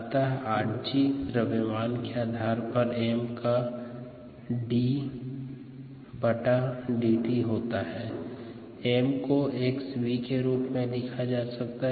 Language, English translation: Hindi, so r g on a mass basis is d d t of m, which can be written as x into v